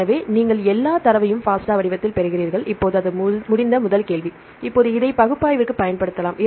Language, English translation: Tamil, So, you get all the data in FASTA format right the first question now it is done, now we can use this for the analysis right